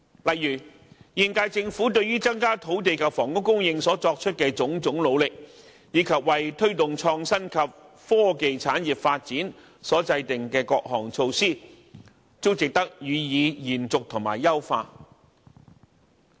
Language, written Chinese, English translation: Cantonese, 例如現屆政府對於增加土地及房屋供應所作出的種種努力，以及為推動創新及科技產業發展所制訂的各項措施，均值得予以延續和優化。, For instance the current - term Governments various efforts to increase land and housing supply and measures formulated for promoting the development of innovation and technology industries are worthy of continuation and optimization